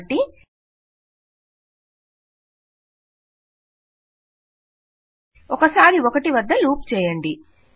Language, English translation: Telugu, So loop once at 1